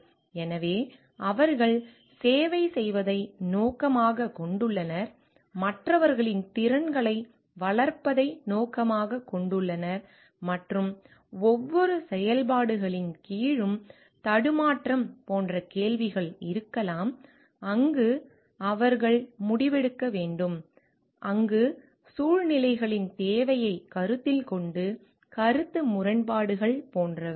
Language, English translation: Tamil, So, they aim at like serving, their aim at developing the skills of others and there could be like questions of dilemma under each functions, where they need to take a decision, where taking into considerations the need of the situations conflict of interest, etcetera